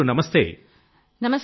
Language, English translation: Telugu, Poonam ji Namaste